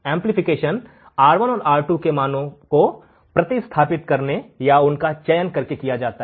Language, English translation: Hindi, Amplification is done by substituting the values of or selecting the values of R1 and R2